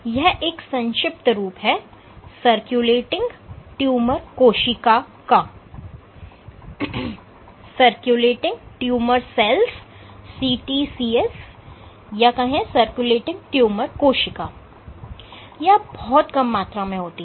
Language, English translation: Hindi, So, this is short form for circulating tumor cells, now CTCs are very few